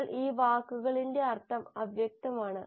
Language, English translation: Malayalam, But a meaning of the word is unambiguous